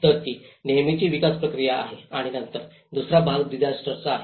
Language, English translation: Marathi, So that is the usual development process and then the second part is the disaster